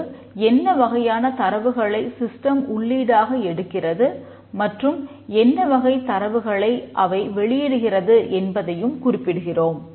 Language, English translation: Tamil, And then we also mention here what type of data they input and what type of data they consume